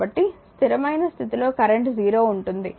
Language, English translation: Telugu, So, at steady state current will be your 0